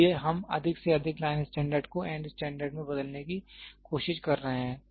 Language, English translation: Hindi, So, we are trying to convert as much as line standard is there to end standard